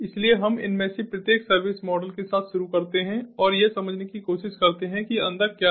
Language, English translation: Hindi, so we start with each of these service models and try to understand what is inside